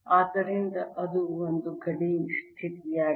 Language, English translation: Kannada, so that's one boundary condition